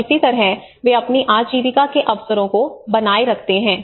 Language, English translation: Hindi, And that is how they sustain they livelihood opportunities